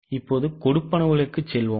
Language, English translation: Tamil, Now let us go to the sales